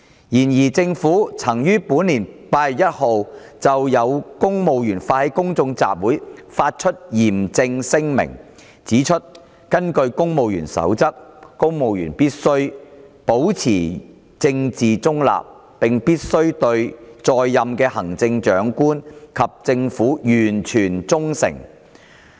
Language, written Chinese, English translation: Cantonese, 然而，政府曾於本年8月1日就有公務員發起公眾集會發出嚴正聲明，指出根據《公務員守則》，公務員必須保持政治中立，並必須對在任的行政長官及政府完全忠誠。, However in respect of some civil servants initiating a public meeting the Government issued a solemn statement on 1 August this year pointing out that according to the Civil Service Code civil servants must uphold their political neutrality and must serve the incumbent Chief Executive CE and Government with total loyalty